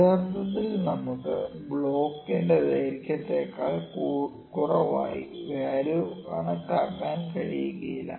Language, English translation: Malayalam, So, if we see the realistic situation we cannot measure less than the length of the block